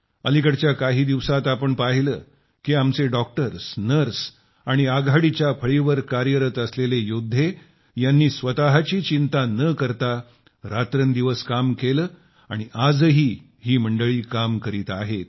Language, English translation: Marathi, We've seen in the days gone by how our doctors, nurses and frontline warriors have toiled day and night without bothering about themselves, and continue to do so